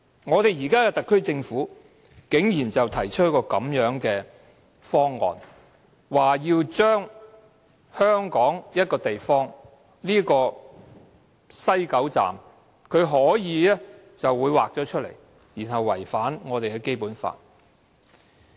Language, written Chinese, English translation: Cantonese, 可是，特區政府現在竟然提出這樣的一個方案，要在香港某一地帶即西九龍站劃出一個地方，以便在該處作出違反《基本法》的安排。, Yet the HKSAR Government has now worked out an option like this so as to designate an area in a place within Hong Kong that is West Kowloon Station for implementing an arrangement which contravenes the Basic Law